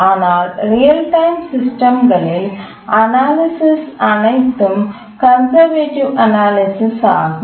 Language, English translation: Tamil, But then in the real time systems, all our analysis are conservative analysis